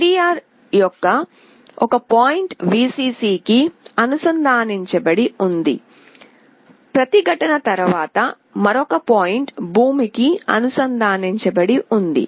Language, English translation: Telugu, One point of the LDR is connected to Vcc, another point through a resistance is connected to ground